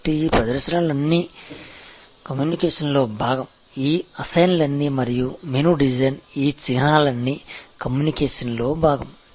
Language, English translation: Telugu, So, these appearances are all part of communication, all these assigns and all these symbols are part of the communication or the menu design